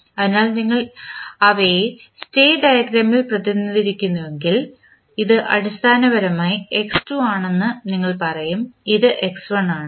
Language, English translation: Malayalam, So, if you represent them in the state diagram you will say that this is basically x2, this is x1